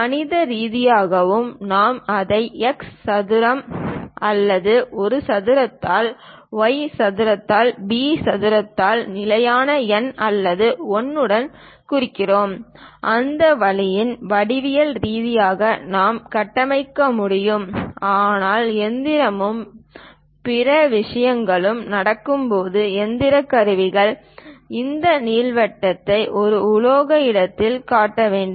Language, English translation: Tamil, Mathematically also we can represent it by x square by a square plus y square by b square with constant number or 1; that way geometrically we can construct, but when machining and other things are happening, the mechanical tools has to construct this ellipse on metal place